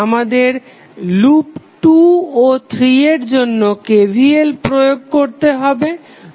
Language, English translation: Bengali, We have to apply KVL for loop 2 and 3